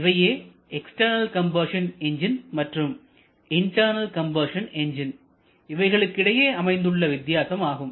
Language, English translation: Tamil, That is the major difference between external combustion and internal combustion engines